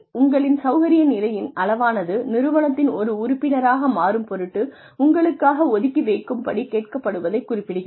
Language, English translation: Tamil, How much of your own comfort level, are you being asked to set aside, in order to become a part of the organization